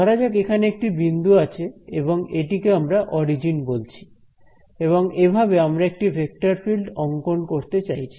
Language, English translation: Bengali, So, let say that I have some point over here, let us call this the origin and I am trying to plot a vector field like this